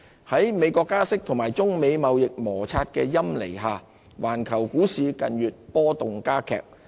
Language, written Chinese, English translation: Cantonese, 在美國加息及中美貿易摩擦的陰霾下，環球股市近月波動加劇。, As the threats of rate hikes in the United States and trade friction between China and the United States loom the volatility of global stock markets increases